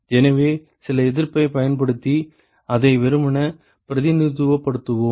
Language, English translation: Tamil, So, we will simply represent that using some resistance